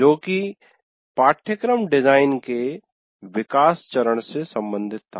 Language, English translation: Hindi, That activity was related to development phase of course design